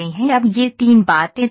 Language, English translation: Hindi, Now these three things are fixed